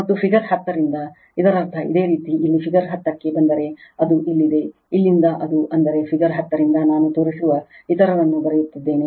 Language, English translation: Kannada, And from figure 10, that means your if you come to figure 10 here it is, from here it is right; that means, from figure 10 one I am writing others I will show